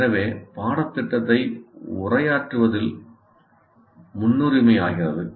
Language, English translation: Tamil, So the covering the syllabus becomes the priority